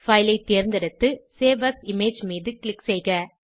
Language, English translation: Tamil, Select File and click on Save As Image option